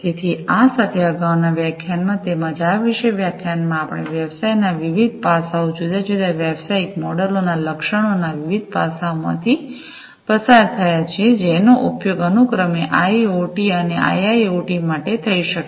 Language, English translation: Gujarati, So, with this in the previous lecture as well as the as well as in this particular lecture, we have gone through the different aspects of business, the different aspects of the features of the different business models, that can be used for IoT and IIoT respectively